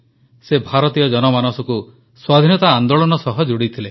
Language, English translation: Odia, He integrated the Indian public with the Freedom Movement